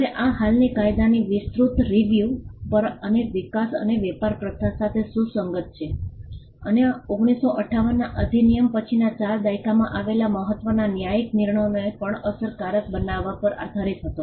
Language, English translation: Gujarati, Now, this was based on a comprehensive review of the existing law, and in tune with the development and trade practices, and to give also effect to important judicial decisions which came in the 4 decades after the 1958 act